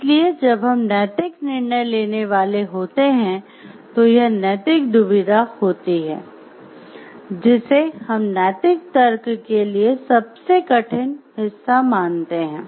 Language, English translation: Hindi, So, when we are about to take a moral decision, it is the moral dilemma which we called like it is a like most difficult part for the moral reasoning